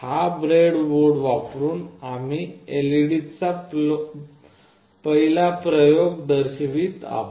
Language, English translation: Marathi, We will be showing the first experiment with LED, using this breadboard